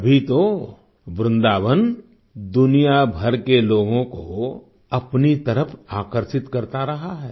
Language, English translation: Hindi, That is exactly why Vrindavan has been attracting people from all over the world